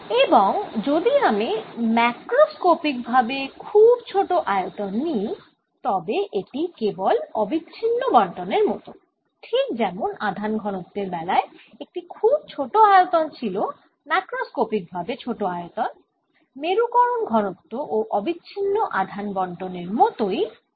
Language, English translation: Bengali, and if i take macroscopically very small volume, there is like a continuous distribution, just like in charge density, also in a very small volume, macroscopically small volume, it's a charge distribution, continuous kind of distribution